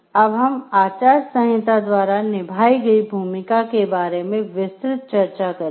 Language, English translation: Hindi, And here, now we will discuss in details the role played by the codes of ethics